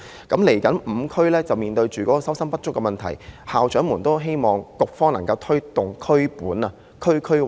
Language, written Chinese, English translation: Cantonese, 未來這5區面對收生不足的問題，校長們都希望局方能夠推動"以區本"的政策。, While these five districts will be facing the problem of under - enrolment ahead the school principals all hope that the Bureau can promote the district - oriented policy